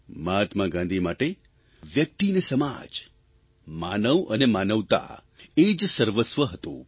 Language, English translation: Gujarati, For Mahatma Gandhi, the individual and society, human beings & humanity was everything